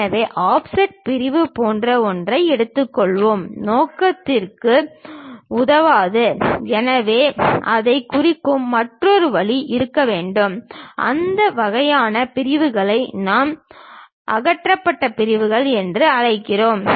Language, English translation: Tamil, So, just taking something like offset section does not serve the purpose; so there should be another way of representing that, that kind of sections what we call removed sections